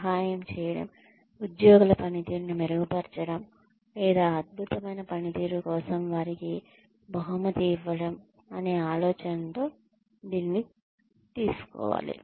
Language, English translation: Telugu, it should be taken on, with the idea of either helping, improve employee's performance, or rewarding them for excellent performance